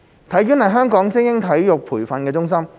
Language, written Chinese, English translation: Cantonese, 體院是香港的精英體育培訓中心。, HKSI is Hong Kongs elite sports training centre